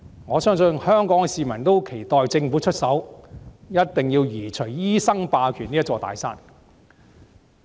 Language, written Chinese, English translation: Cantonese, 我相信香港市民十分期待政府出手，一定要移除醫生霸權這座"大山"。, I believe the people of Hong Kong keenly expect the Government to do something to remove this big mountain of doctors hegemony